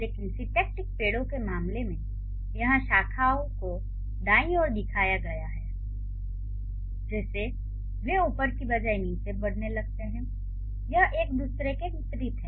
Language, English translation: Hindi, But in case of syntactic tree here the branches they are shown on the right like they seem to grow down rather than up